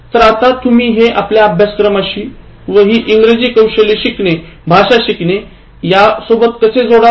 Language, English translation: Marathi, So how do we relate that to our course and learning this English Skills, learning language